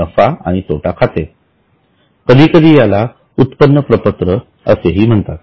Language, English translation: Marathi, Sometimes it is called as income statement